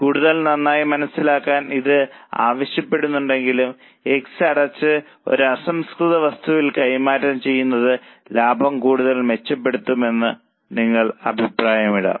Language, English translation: Malayalam, Though it is not asked just for better understanding, you may further comment that closure of X and transferring that raw material to Y will further improve the profitability